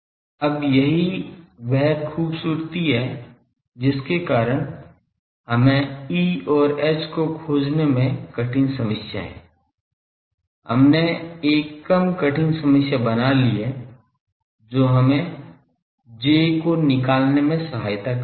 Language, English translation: Hindi, Now that is the beauty that is why we have a difficult problem of finding E and H that we have put a less difficult problem that let us find J